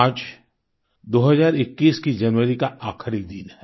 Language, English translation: Hindi, Today is the last day of January 2021